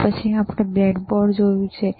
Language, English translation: Gujarati, Then we have seen the breadboard, right